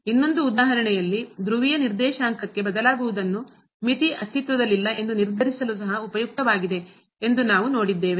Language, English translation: Kannada, In another example what we have seen this changing to polar coordinate is also useful for determining that the limit does not exist